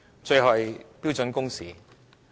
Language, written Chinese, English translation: Cantonese, 最後是標準工時。, The last issue is standard working hours